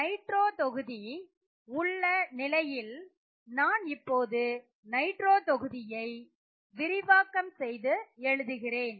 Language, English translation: Tamil, So, in the case of the nitro group, I would write out the expanded structure of the nitro group